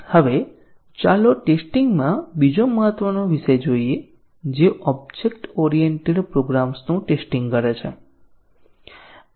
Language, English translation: Gujarati, Now, let us look at another important topic in testing which is testing object oriented programs